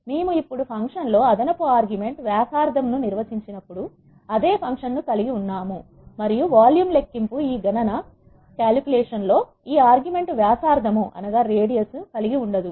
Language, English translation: Telugu, We have the same function we have defined now an extra argument radius in the function and the volume calculation does not involve this argument radius in this calculation